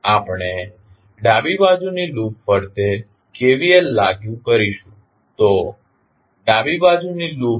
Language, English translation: Gujarati, We will apply KVL around the left hand loop so this is the left hand loop